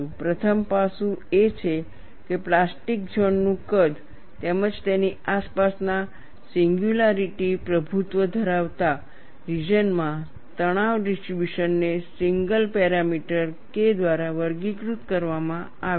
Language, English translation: Gujarati, We will see three aspects of it this: the first aspect is the size of the plastic zone, as well as the stress distribution in the singularity dominated region surrounding it or characterized by the single parameter K